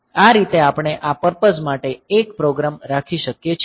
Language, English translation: Gujarati, So, this way we can have a program for this purpose